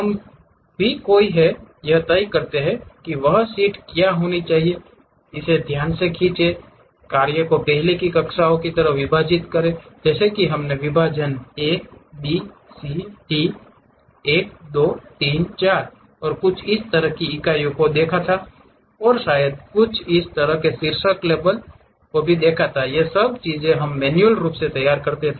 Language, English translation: Hindi, We are the ones deciding what should be that sheet, draw it carefully, divide the task like in the earlier classes we have seen something like division a, b, c, d, 1, 2, 3, 4 and this system of units, and perhaps something like titles labels, all these things we are manually preparing it